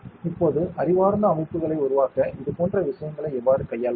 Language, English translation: Tamil, Now, how do you handle such things to make intelligent systems